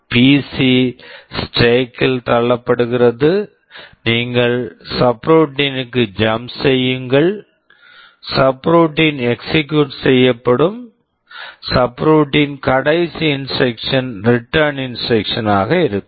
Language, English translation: Tamil, The PC is pushed in the stack, you jump to the subroutine, subroutine gets executed, the last instruction of the subroutine will be a return instruction